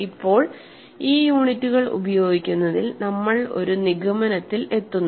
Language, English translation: Malayalam, So, now, in using these units, we conclude we see that